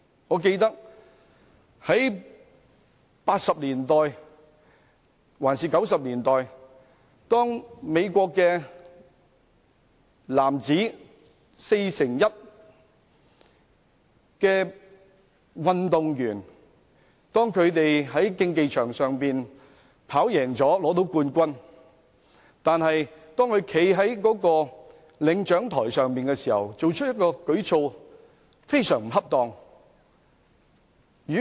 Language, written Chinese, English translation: Cantonese, 我記得在1980年代或1990年代，一名美國運動員在男子4乘100米的競技場上取得冠軍，但當他站在領獎台上時，作出非常不恰當的舉措。, I recall that in the 1980s or 1990s an American athlete won the gold medal in the mens 4x100 m event in the arena . But when he was standing on the prize presentation pedestal he did a grossly improper act